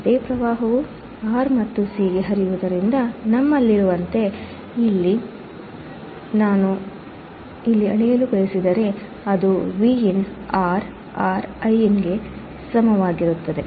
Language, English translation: Kannada, Since the same current flows to R and C, as we have here, if I want to measure here , it will be Vin by R equals to Iin